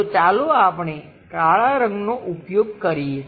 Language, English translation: Gujarati, So, let us use a black